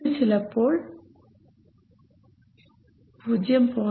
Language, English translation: Malayalam, So you have a 0